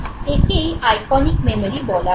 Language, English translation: Bengali, This is iconic memory